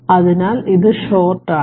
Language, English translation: Malayalam, So, it is short right